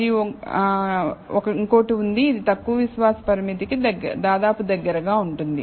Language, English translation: Telugu, And there is one, which is exactly almost close to the lower confidence limit